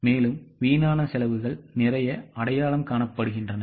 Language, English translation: Tamil, And lot of wasteful expenditure gets identified